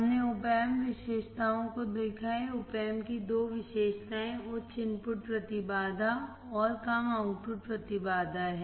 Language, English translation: Hindi, We have seen the Op Amp characteristics, two characteristics of opamp are the high input impedance and low output impedance